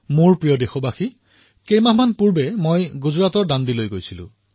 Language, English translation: Assamese, My dear countrymen, a few months ago, I was in Dandi